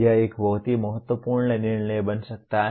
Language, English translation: Hindi, It can become a very crucial decision